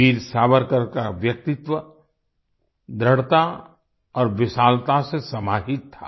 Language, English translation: Hindi, Veer Savarkar's personality comprised firmness and magnanimity